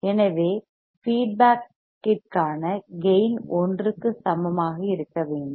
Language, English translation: Tamil, So, gain into feedback should be equal to 1